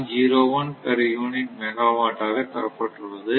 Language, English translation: Tamil, 01 per unit megawatt per hertz